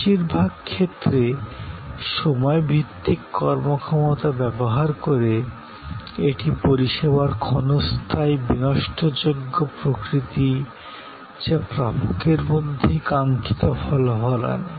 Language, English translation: Bengali, Most commonly employing time based performances, this is the transient perishable nature of service to bring about desired results in recipient themselves